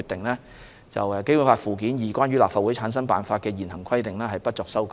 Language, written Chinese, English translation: Cantonese, 根據該決定，《基本法》附件二關於立法會產生辦法的現行規定不作修改。, According to this decision the existing formation method for the Legislative Council as prescribed in Annex II to the Basic Law will not be amended